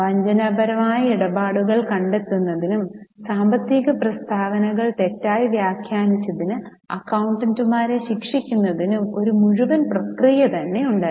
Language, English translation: Malayalam, There was a full process for discovering fraudulent transactions and punishing the accountants for mistrating financial statements